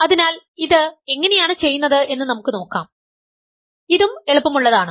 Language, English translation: Malayalam, So, let us see how do we show that, this is also simple